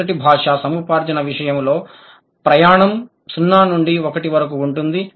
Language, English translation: Telugu, In case of first language acquisition, the journey is from 0 to 1